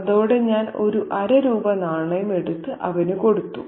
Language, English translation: Malayalam, With that, I took out a half a rupee coin and gave it to him